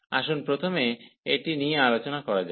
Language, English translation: Bengali, So, let us just discuss this one first